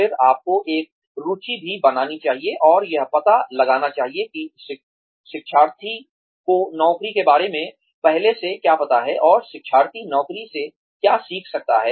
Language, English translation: Hindi, Then, you should also create an interest and find out, what the learner already knows about the job, and what the learner can learn from the job